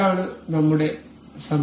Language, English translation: Malayalam, This is assembly our assembly